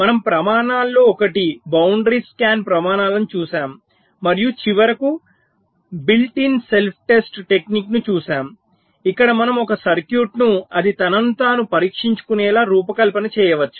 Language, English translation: Telugu, we looked at one of the standards, the boundary scan standards, and finally built in self test technique where we can design a circuit such that it can test itself